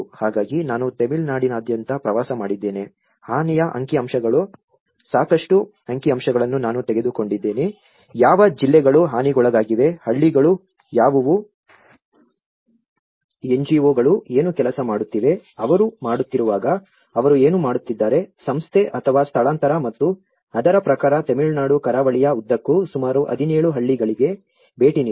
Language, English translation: Kannada, So, what I did was I travelled around Tamilnadu, I have taken a lot of statistical information of the damage statistics what districts have been affected, what are the villages, what are the NGOs working on, what approaches they are doing whether they are doing Institute or a relocation and accordingly have visited about 17 villages along the stretch of Tamilnadu coast